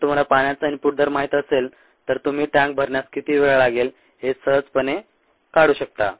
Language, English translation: Marathi, if you know the input rate of water, then you can figure out the time taken to fill the tank quite easily